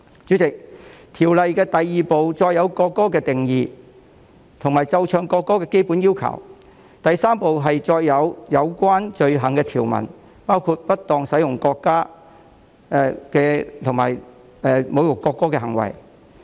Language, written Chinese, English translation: Cantonese, 主席，《條例草案》第2部載有國歌的定義和奏唱國歌的基本要求，第3部載有有關罪行的條文，包括不當使用國歌及侮辱國歌的行為。, Chairman Part 2 of the Bill contains the definition of national anthem as well as the basic requirements of playing and singing the national anthem . Part 3 contains provisions relating to offences of misuse of the national anthem and insulting behaviour in relation to the national anthem